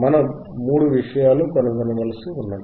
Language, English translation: Telugu, Three things we have to find